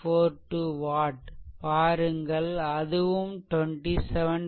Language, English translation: Tamil, 42 watt here also